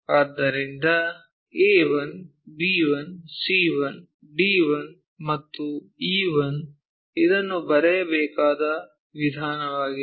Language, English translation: Kannada, So, a 1, b 1, c 1, d 1, and e 1 this is the way we should write it